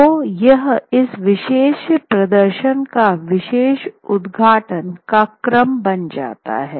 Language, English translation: Hindi, So this is something that becomes the opening sequence of this particular opening sequence of this particular performance